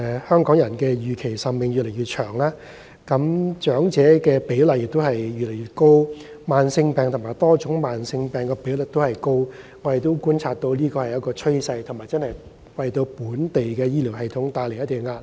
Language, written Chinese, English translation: Cantonese, 香港人的預期壽命越來越長，長者比例越來越高，慢性病和多種慢性病的比率也偏高，這是我們觀察到的趨勢，為本地醫療系統帶來一定壓力。, The life expectancy of Hong Kong people is getting longer and there is a larger proportion of elderly people as well as a high ratio of chronic diseases and multiple chronic illnesses . This trend that we have observed put some pressure on the local medical system